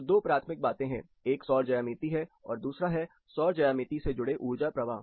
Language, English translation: Hindi, So, two primary things; one is the solar geometry, number two is the energy flows associated with it